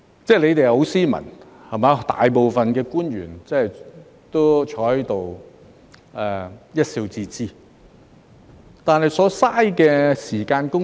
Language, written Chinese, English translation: Cantonese, 政府官員很斯文，大多坐在這裏一笑置之，但是，所浪費的時間、公帑......, With great courtesy the government officials simply smiled at all those remarks but then the wasted time and public money A particular case was the filibustering back then at the Finance Committee